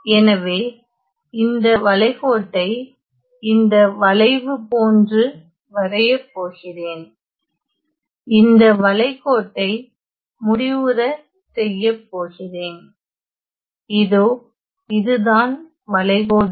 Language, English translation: Tamil, So, let me just say I am going to draw the contour in such a way this curve; close contour in such a way that draw let me say that this contour is C